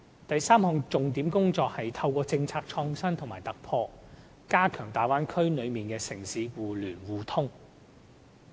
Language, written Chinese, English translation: Cantonese, 第三項重點工作，是透過政策創新和突破，加強大灣區內城市互聯互通。, The third major task is the introduction of policy innovation and breakthrough to strengthen inter - city connectivity within the Bay Area